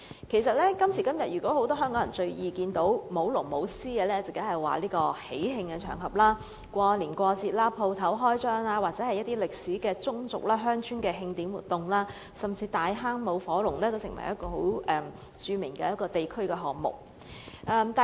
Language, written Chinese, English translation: Cantonese, 今時今日，香港人最易看到舞龍舞獅，自然是喜慶場合，過年過節、店鋪開張，又或是具有歷史的宗族、鄉村的慶典活動，甚至大坑舞火龍也是十分著名的地區項目。, Nowadays it is common for Hong Kong people to see dragon and lion dance activities during festive occasions for example during Chinese New Year and some festivals grand opening of shops or celebration activities of historical clans and villages . The fire dragon dance of Tai Hang is also a very well - known district event